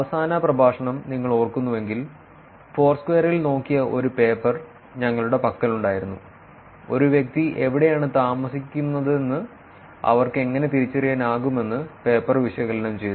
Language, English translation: Malayalam, If you remember last lecture, we had paper which looked at Foursquare, and the paper analyzed, how they can actually identify, where a person lives